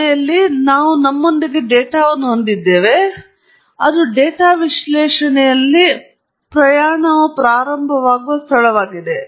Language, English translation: Kannada, In the end, we have data with us and that’s where the journey begins in data analysis